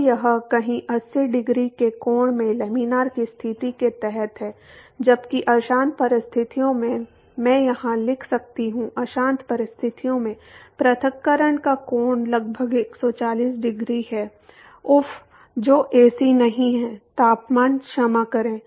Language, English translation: Hindi, So, its somewhere in the 80 degree angle under the laminar conditions, while under turbulent conditions, I can write here, under turbulent conditions, the angle of separation is about 140 degree